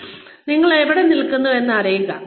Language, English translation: Malayalam, One is knowing, where you stand